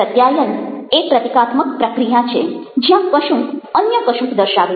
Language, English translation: Gujarati, communication is a symbolic process where something stands for something else